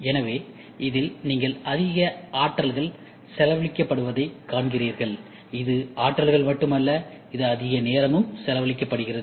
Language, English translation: Tamil, So, in this you see so much of units are spent, and it is not only unit, it is also plus time lot of time